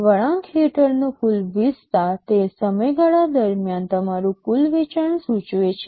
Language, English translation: Gujarati, The total area under the curve will indicate your total sales over that period of time